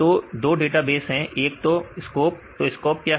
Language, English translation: Hindi, So, 2 databases called the SCOP what is SCOP